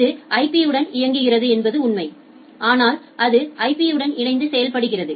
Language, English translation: Tamil, It works with IP that is true, but it works in association with IP